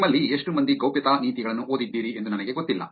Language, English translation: Kannada, I do not know, how many of you actually read privacy policies